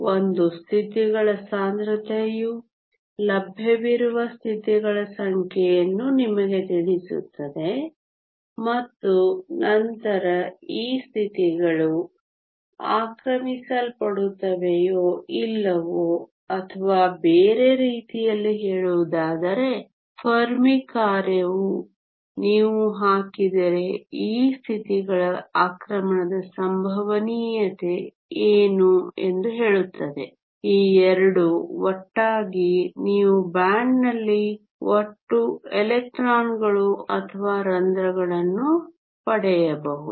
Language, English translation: Kannada, One is the density of states which tells you the number of available states that are to be occupied and then the Fermi function that tells you whether these states will be occupied or not or other words what is the probability of these states being occupied if you put these 2 together you can get the total number of electrons or holes in a band